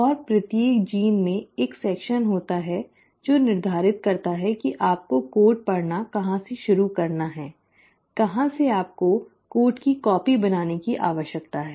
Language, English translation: Hindi, And each gene has a section which determines from where you need to start reading the code, from where you need to start copying the code